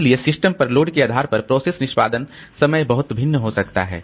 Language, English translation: Hindi, So, process execution time can vary greatly depending on the load on the system